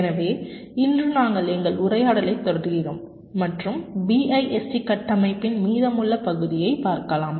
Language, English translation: Tamil, ok, so today we continue our discussion and look at the remaining part of the bist architecture